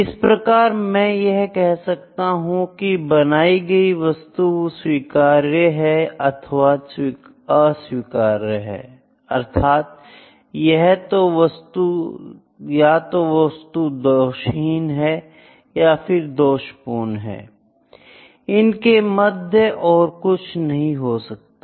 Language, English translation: Hindi, So, I can say whether the product that have produced is acceptable or non acceptable, whether it is defective, or non defective there is no in between, ok